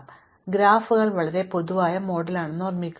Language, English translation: Malayalam, Well, remember that the graphs are very general model